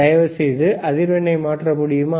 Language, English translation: Tamil, So, can you increase the frequency please, all right